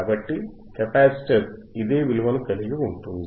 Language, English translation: Telugu, So, capacitor will hold this value again